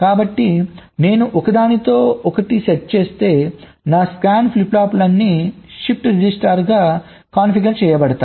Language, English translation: Telugu, so if i set it to one, then all my scan flip flops will be configured as a shift register